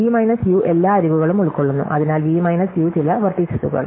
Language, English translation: Malayalam, So, V minus U covers all the edges, so therefore, V minus U is a vertex cover